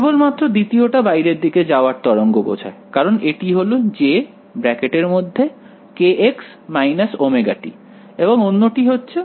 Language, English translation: Bengali, Only the second wave corresponds to a outgoing wave because, it is a j k x minus omega t right and this one the other hand is